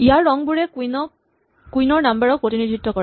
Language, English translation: Assamese, The colors here represent the queen numbers